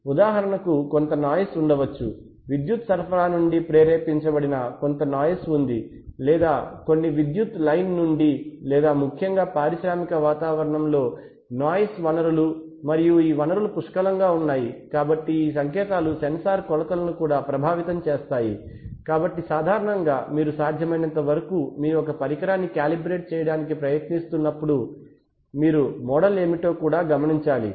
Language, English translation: Telugu, So if the temperature varies then the resistance is going to change, similarly there are various kinds of interfering inputs like for example there may be some noise, there is some noise induced from a power supply, or from some power line, or especially in the in the industrial environment there are plenty of noise sources and this sources, this signals can also affect the sensor measurements, so generally when you to the extent possible, when you are trying to calibrate an instrument you will have to also note what are the model for example what is the temperature